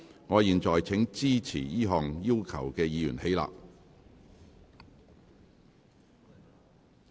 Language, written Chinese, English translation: Cantonese, 我現在請支持這項要求的議員起立。, I now call upon Members who support this request to rise in their places